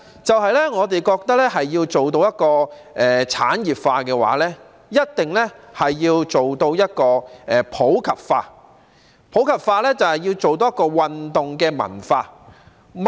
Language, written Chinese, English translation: Cantonese, 第二，我們認為要達到體育事業產業化，便一定要做到普及化，而普及化就是要營造運動文化。, Secondly we believe that in order to achieve industrialization of sports it is necessary to promote sports in the community which means creating a sports culture